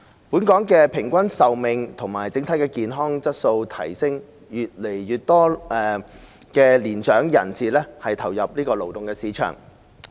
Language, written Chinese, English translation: Cantonese, 本港平均壽命和整體健康質素提升，越來越多年長人士投入勞動市場。, With longer average life expectancies and an improvement in the overall health quality in Hong Kong more and more mature persons are engaged in the labour market